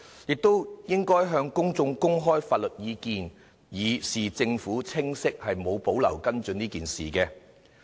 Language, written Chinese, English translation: Cantonese, 政府應該向公眾公開相關法律意見，以示當局毫無保留跟進此事的清晰態度。, The Government should make open the relevant legal advice to prove its unreserved attitude in following up this incident